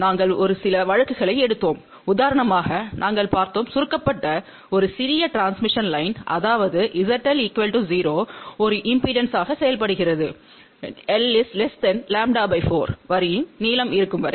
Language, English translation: Tamil, We took a few cases of that; for example, we saw that a small transmission line which is shorted; that means, Z L equal to 0 behaves as an inductance as long as the length of the line is less than lambda by 4